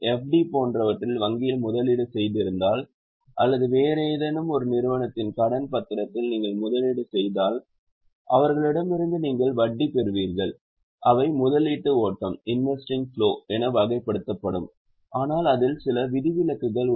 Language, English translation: Tamil, So, if you have made investment in bank like FD or if you have made investment in debenture of some other company, you will receive interest from them that will be categorized as investing flow